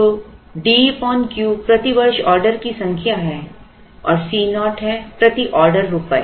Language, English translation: Hindi, So, D by Q is the number of orders per year C naught is rupees per order